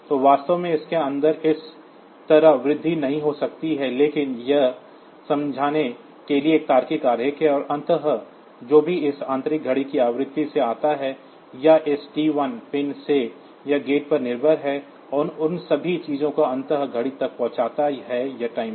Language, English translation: Hindi, So, it in reality in inside it might not be incremented like this, but this is a logical diagram for understanding, and ultimately whatever whether it comes from this internal clock frequency, or from this T 1 pin it is dependent on gate and all those things ultimately the clock reaches this timer